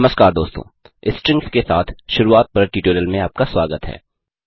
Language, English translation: Hindi, Hello friends and Welcome to the tutorial on Getting started with strings